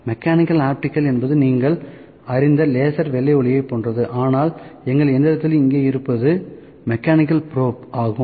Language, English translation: Tamil, Mechanical optical is like you know laser white light all those in a, but so, we have here in our machine is the mechanical probe, ok